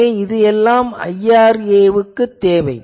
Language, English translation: Tamil, So, this is all IRA etc